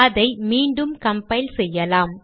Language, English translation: Tamil, Let me compile it again